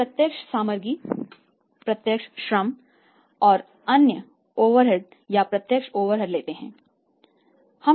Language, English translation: Hindi, e take direct materials we take direct labour and we take the other overheads or direct overheads right